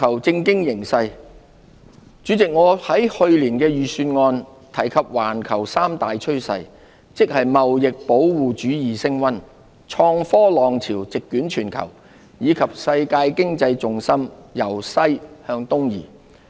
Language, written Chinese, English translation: Cantonese, 主席，我在去年預算案提及環球三大趨勢，即貿易保護主義升溫、創科浪潮席捲全球，以及世界經濟重心由西向東移。, President in last years Budget I mentioned three major global trends namely rising trade protectionism unstoppable wave of innovation and technology IT and the shift of world economic gravity from West to East